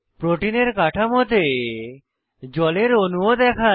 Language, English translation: Bengali, The protein structure is also shown with water molecules